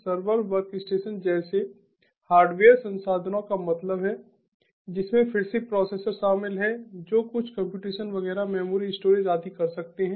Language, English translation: Hindi, computing means what computing means: hardware resources like servers, workstations, which again include processors which can do certain computations, etcetera, memory storage and so on